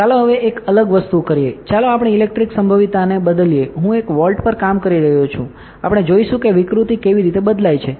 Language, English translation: Gujarati, Now, let us do a different thing let us change the electric potential, I am working at one volt we will see how the deformation changes